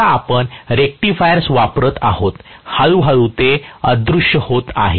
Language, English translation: Marathi, Now, that we use rectifiers quite a bit, slowly that is disappearing